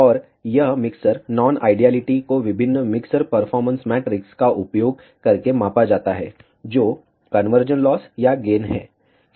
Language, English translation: Hindi, And this mixer non idealities are measured using various mixer performance metrics, which are conversion loss or gain